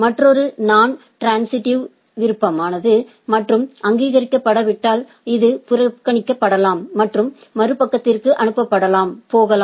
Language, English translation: Tamil, Another is optional in non transitive, if it is if it is not recognized or it can be ignored and may not be transmitted to the other side